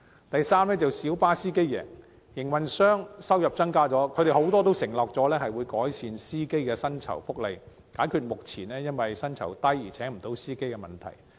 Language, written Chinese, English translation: Cantonese, 第三，小巴司機贏，營運商收入增加，很多營運商已承諾會改善司機的薪酬福利，解決因薪酬偏低而未能聘請司機的問題。, Third PLB drivers will win . Many operators have undertaken to improve drivers remuneration package with the increase of revenue so as to resolve the problem of being unable to recruit drivers due to low salary